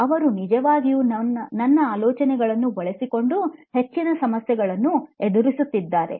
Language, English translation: Kannada, They are actually going through more problems by using my ideas